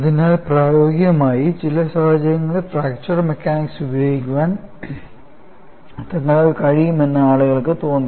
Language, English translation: Malayalam, So, people felt that they are able to apply fracture mechanics to certain situations in practice;